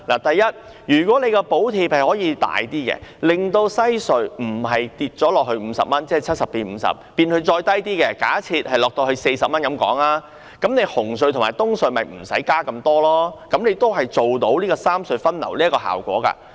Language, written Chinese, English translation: Cantonese, 第一，如果政府可以增加補貼，令西隧收費不是由70元減至50元，而是更低，假設減至40元，那麼紅隧和東隧的加幅便不用那麼大，這樣也可以做到三隧分流的效果。, First if the Government can increase the subsidy amount so that the toll of WHC will not be reduced from 70 to 50 but lower say 40 the rates of toll increase of CHT and EHC need not be that high and the rationalization of traffic distribution among the three RHCs can still be achieved